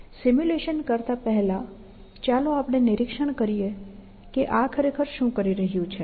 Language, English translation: Gujarati, Before I do the simulation, let us make an observation as to what this is really, doing